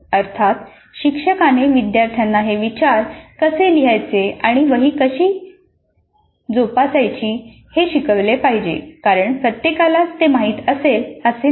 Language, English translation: Marathi, Of course, instructor may have to train the students in how to write and maintain the journals because all of them may not be familiar